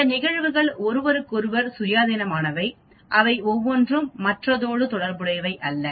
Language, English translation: Tamil, These events are independent of each other they are not related to each other